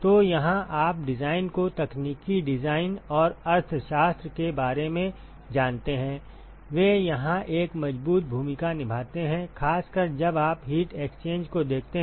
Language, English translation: Hindi, So, here you know the design the technical design and the economics, they play a strong role here, particularly when you look at heat exchange